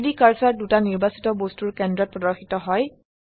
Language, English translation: Assamese, The 3D cursor snaps to the centre of the two selected objects